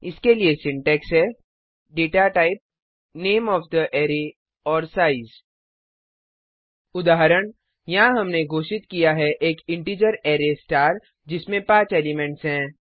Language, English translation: Hindi, The Syntax for this is: data type,, size is equal to elements example, here we have declared an integer array star with size 3